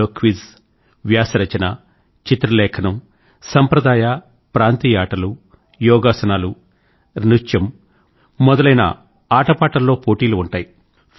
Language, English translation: Telugu, This includes quiz, essays, articles, paintings, traditional and local sports, yogasana, dance,sports and games competitions